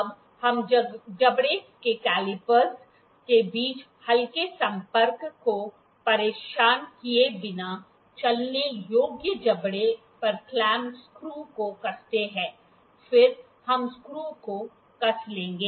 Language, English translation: Hindi, Now we tighten the clamp screw on the moveable jaw without disturbing the light contact between calipers in the jaw, then we will tighten the screw